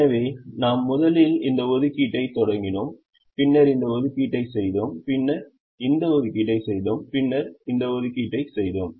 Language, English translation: Tamil, so we first started with this assignment, then we did this assignment, then we did this assignment and then we did this assignment